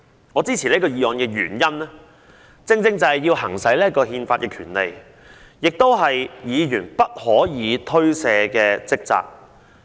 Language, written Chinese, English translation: Cantonese, 我支持這項議案的原因，正正是要行使這項憲法權利，而這亦是議員不可推卸的職責。, The reason for me to support this motion is precisely the need to exercise this constitutional right which is also the unshirkable responsibility of Members